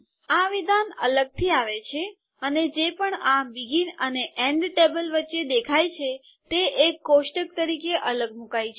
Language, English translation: Gujarati, This statement comes separately and whatever that appeared between this begin and end table have been placed separately as a table